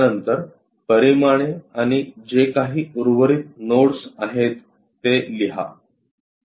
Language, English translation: Marathi, After that write down the dimensions and whatever the left over nodes